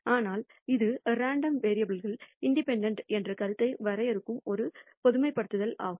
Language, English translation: Tamil, But this is a generalization which defines the notion of independence of two random variables